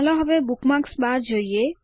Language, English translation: Gujarati, Now lets look at the Bookmarks bar